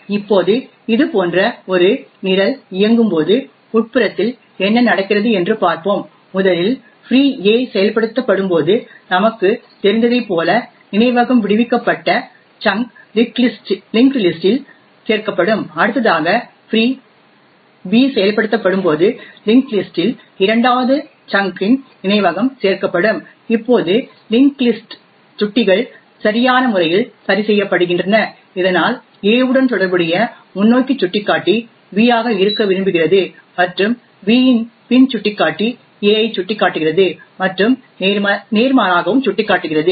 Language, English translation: Tamil, Now let us look what happens internally when such a program executes, first as we know when free a gets invoked the freed chunk of memory is added to the linked list next when free b gets invoked you would have a second chunk of memory added to the linked list now the link list pointers are appropriately adjusted so that the forward pointer corresponding to a wants to b and back pointer of b points to a and vice versa as well